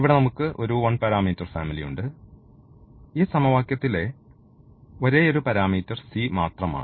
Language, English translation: Malayalam, So, here we have this one parameter family the c is the only parameter in this in this equation